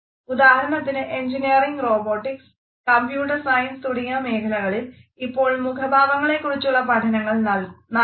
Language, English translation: Malayalam, For example, disciplines like engineering, robotics, as well as computer science are studying facial expressions